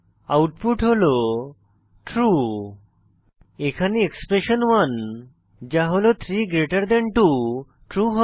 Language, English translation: Bengali, Here, expression1 that is 32 is true